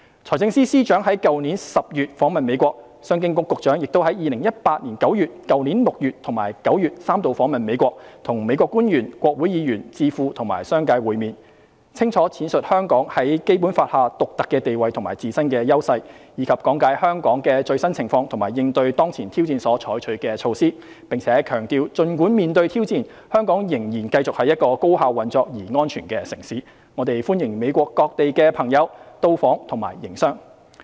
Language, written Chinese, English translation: Cantonese, 財政司司長於去年10月訪問美國，商務及經濟發展局局長亦於2018年9月、去年6月及9月三度訪問美國，與美國官員、國會議員、智庫和商界會面，清楚闡述香港在《基本法》下的獨特地位和自身的優勢，以及講解香港的最新情況及應對當前挑戰所採取的措施，並強調儘管面對挑戰，香港仍然繼續是一個高效運作而安全的城市，我們歡迎美國各地的朋友到訪及營商。, The Financial Secretary visited the United States in October last year while the Secretary for Commerce and Economic Development visited the United States three times in September 2018 and June and September last year during which they met with government officials congressional members think tanks as well as the business community of the United States enunciating the unique status under the Basic Law and the intrinsic strengths of Hong Kong explaining Hong Kongs latest situation and the measures taken to address current challenges and stressing that despite the challenges faced by Hong Kong it remained a highly efficient and safe city and we welcomed people from around the United States to visit and do business here